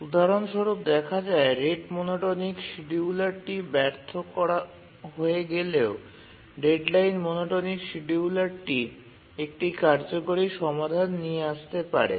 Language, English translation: Bengali, For example, even when the rate monotonic scheduler fails, the deadline monotonic scheduler may come up with a feasible solution